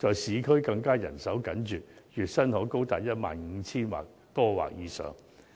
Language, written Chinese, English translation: Cantonese, 市區的人手更緊絀，月薪可高達 15,000 元或以上。, The manpower shortage problem is more acute in the urban areas where a dish - washing worker earns a monthly wage of as much as 15,000